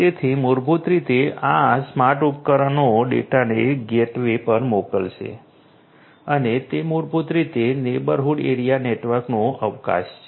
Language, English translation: Gujarati, So, basically these smart devices are going to send the data to the gateway and that is basically the scope of the neighborhood area network